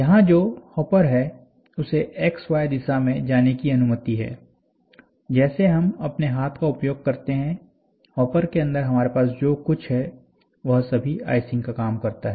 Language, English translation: Hindi, And here this hopper, whatever we had this is allowed to move in x y direction and when we generally, what we do is, we use our hand and inside the hopper, what we have is all icing